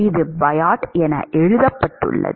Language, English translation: Tamil, It is written as Biot